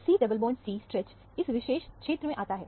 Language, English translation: Hindi, The C double bond C stretch comes in this particular region